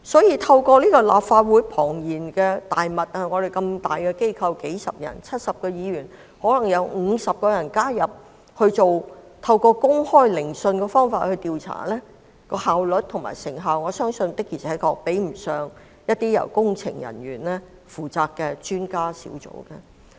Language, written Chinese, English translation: Cantonese, 因此，在立法會這個龐大的機構中 ，70 位議員中可能有50位議員加入委員會以公開聆訊的方式調查，我相信效率和成效確實比不上由工程人員組成的專家小組。, Hence I believe the efficiency and effectiveness of a public inquiry conducted by a committee which may comprise 50 of the 70 Members of such a large organ as the Legislative Council will actually pale in comparison to that by an expert team of engineers